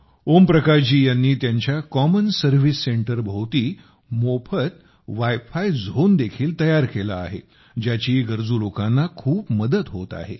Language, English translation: Marathi, Om Prakash ji has also built a free wifi zone around his common service centre, which is helping the needy people a lot